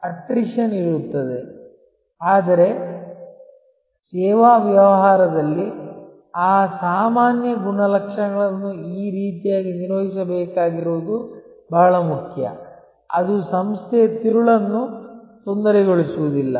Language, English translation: Kannada, There will be attrition, but it is very important that in a service business, that usual attrition has to be handled in such a way, that it does not disturb the core of the organization